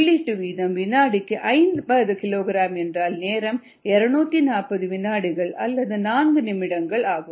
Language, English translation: Tamil, if the input rate is fifty kilogram per second, the time would be two forty seconds or four minutes